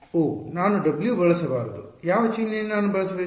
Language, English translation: Kannada, Oh, I should not use w what are the symbol will I use